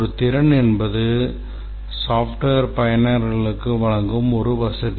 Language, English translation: Tamil, A capability is a facility that the software provides to the users